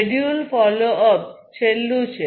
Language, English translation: Gujarati, Schedule follow up is the last one